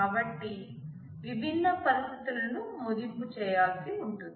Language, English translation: Telugu, So, different situations will have to be assessed